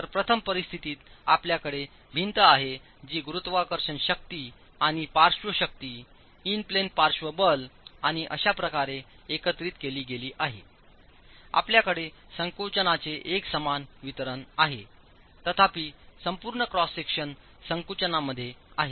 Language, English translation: Marathi, So first situation you have the wall that is subjected to a combination of gravity forces and lateral force in plain lateral force and so you have a non uniform distribution of compression